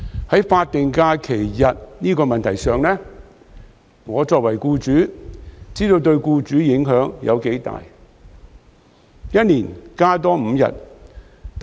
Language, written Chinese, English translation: Cantonese, 在法定假日日數這個問題上，我作為僱主，明白對僱主的影響有多大。, On the number of statutory holidays as an employer I understand how great an impact this issue has on employers